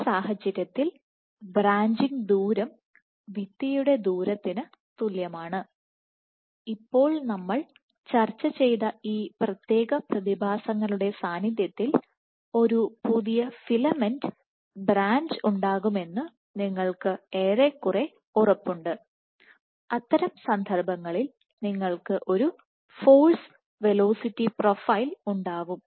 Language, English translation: Malayalam, So, in this case the branching distance is exactly the same as the wall distance, now given this particular phenomena that we just discussed you are almost sure that a new filament will branch, in that case it turns out your you will have a force velocity profile it will start from here and will have a force velocity profile like this